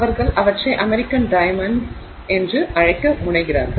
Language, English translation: Tamil, They don't really refer to it as the American diamond